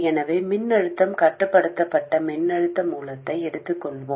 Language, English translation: Tamil, So let's take a voltage control voltage source